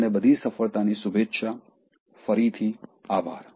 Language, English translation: Gujarati, Wish you all success, thanks again